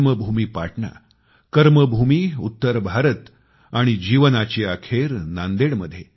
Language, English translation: Marathi, His birthplace was Patna, Karmabhoomi was north India and the last moments were spent in Nanded